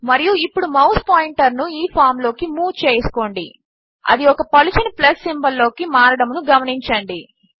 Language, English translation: Telugu, And let us move the mouse pointer into the form notice that it has changed to a thin plus symbol